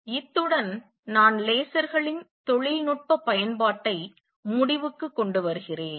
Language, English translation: Tamil, So, with this I conclude this a technological application of lasers